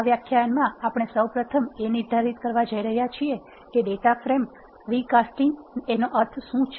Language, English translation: Gujarati, In this lecture we are going to first define, what is recasting of a data frame mean,